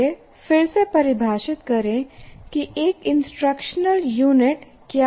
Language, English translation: Hindi, Now let us again redefine what an instructional unit is